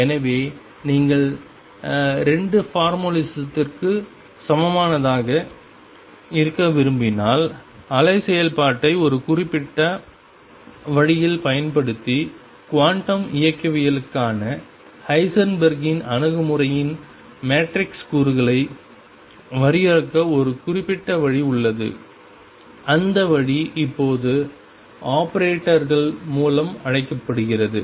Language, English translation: Tamil, So, if you want to have the 2 formulism equivalent then there is a particular way of defining the matrix elements of Heisenberg’s approach to quantum mechanics using the wave function in a very particular way and that way is now called through operators